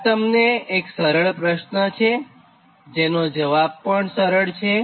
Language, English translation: Gujarati, this is a simple question to you and answer also will be simple